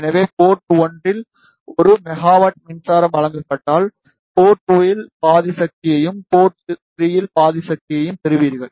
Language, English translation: Tamil, So, if a power of 1 milli watt is given at port 1, you will get half of the power at port 2, and half of the power at port 3